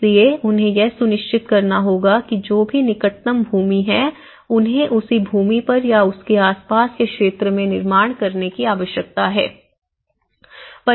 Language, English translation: Hindi, So, they have to ensure that whatever the land the nearest possible vicinity so, they need to build on the same land or at least in the nearby vicinity